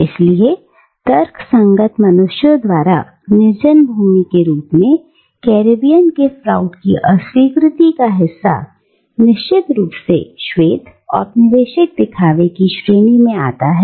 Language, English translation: Hindi, So, part of Froude’s rejection of the Caribbean as a land uninhabited by rational human beings, of course comes from this white colonial snobbery